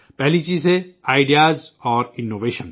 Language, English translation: Urdu, The first aspect is Ideas and Innovation